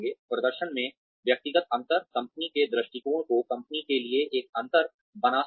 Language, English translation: Hindi, Individual differences in performance, can make a difference to the company of, to the company perspective